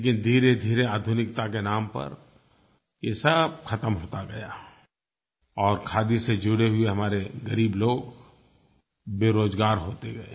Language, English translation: Hindi, However, it slowly began fading out of the scene in the name of modernization and those associated with the Khadi industry were losing jobs